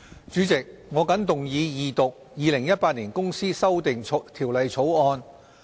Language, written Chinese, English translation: Cantonese, 主席，我謹動議二讀《2018年公司條例草案》。, President I move the Second Reading of the Companies Amendment Bill 2018 the Bill